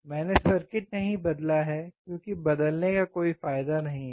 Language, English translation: Hindi, I have not changed the circuit because there is no use of changing